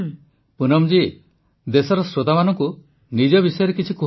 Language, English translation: Odia, Poonamji, just tell the country's listeners something about yourself